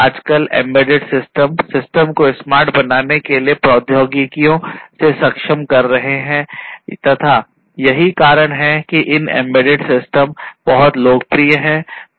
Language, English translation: Hindi, Nowadays, embedded systems are enabling technologies for making systems smarter and that is why these embedded systems are very popular